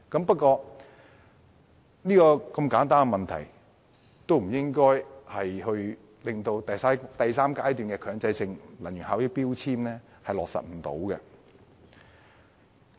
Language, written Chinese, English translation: Cantonese, 不過，如此簡單的問題理應不會導致第三階段強制性標籤計劃無法落實。, Nevertheless such a simple issue ought not render the implementation of the third phase of MEELS impossible